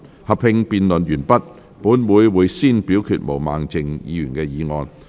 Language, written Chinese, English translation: Cantonese, 合併辯論完畢後，本會會先表決毛孟靜議員的議案。, After the joint debate has come to a close this Council will first proceed to vote on Ms Claudia MOs motion